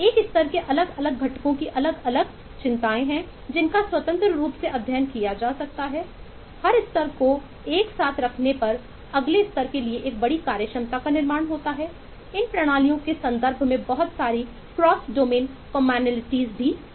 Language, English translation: Hindi, the different components in a level have separate concerns which can be independently studied, put together every level, build up a bigger functionality for the next level, and there are lot of cross domain commonality in terms of these systems